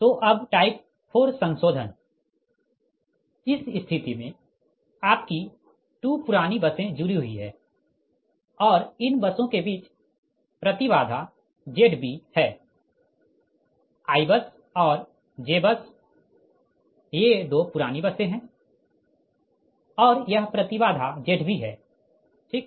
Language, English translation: Hindi, so type four modification: in this case old bus are connected, your two old buses are connected and impedance between these bus is z b i bus and j bus